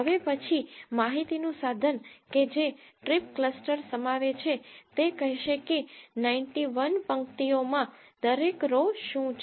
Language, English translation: Gujarati, The next piece of information that strip cluster contains is it will say among 91 rows what does each row belong to